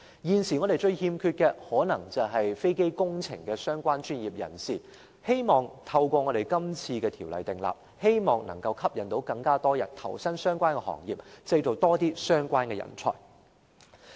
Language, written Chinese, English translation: Cantonese, 現時，我們最缺少的是與飛機工程相關的專業人士，希望藉這次訂立條例，能吸引更多人投身相關行業，而當局亦會培訓更多相關人才。, In addition professionals in Hong Kong can provide assistance when necessary . At present our greatest shortage is in aircraft engineering professionals . We hope that after this legislative enactment more people will join the relevant industries and the authorities will step up the training of more talents